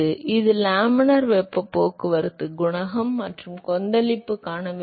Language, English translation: Tamil, So, this is laminar heat transport coefficient, and turbulent heat transport coefficient ok